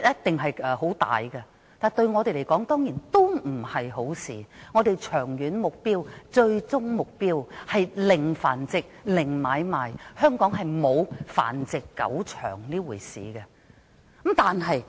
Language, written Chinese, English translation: Cantonese, 面積這樣大對我們來說，並非好事，因為我們長遠最終的目標，是"零繁殖"及"零買賣"，香港再無繁殖狗場這回事。, To us having such a big area for dog breeding is not a good thing for our ultimate goal is zero breeding and zero trading . We also hope that Hong Kong will no longer have dog farms